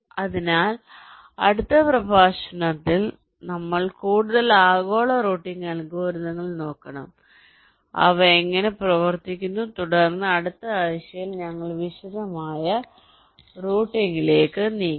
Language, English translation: Malayalam, ok, fine, so for next lecture we should looking at some more global routing algorithms, so how they work, and then we will shall be moving towards detailed routing in the next week